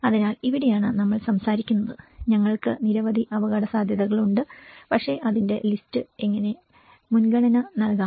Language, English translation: Malayalam, So, this is where we talk about, we have many risks but how to prioritize the list